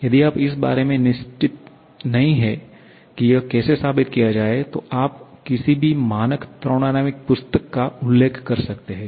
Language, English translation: Hindi, If you are not sure about how to prove that, you can refer to any standard thermodynamics book